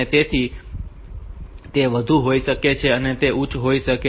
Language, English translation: Gujarati, So, that may be over it may be high